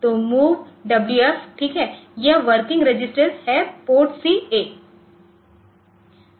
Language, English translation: Hindi, So, MOVWF, ok so, this is working register PORTC comma a